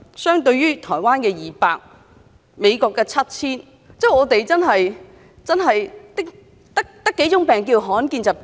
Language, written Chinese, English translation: Cantonese, 相對於台灣的200種、美國的 7,000 種，我們真的只有7種罕見疾病嗎？, Taiwan has 200 rare diseases and the United States 7 000 rare diseases . Do we truly only have seven rare diseases?